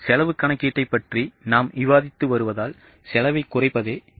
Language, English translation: Tamil, Since we are discussing cost accounting, the aim is to cut down the cost, aim is to reduce the cost